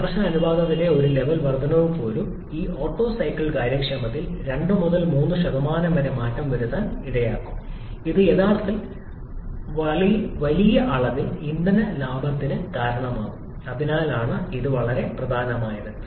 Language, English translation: Malayalam, Even one level increase in the compression ratio can cause some 2, 3% change in this Otto cycle efficiency which actually can lead to huge amount of fuel saving that is why it is extremely important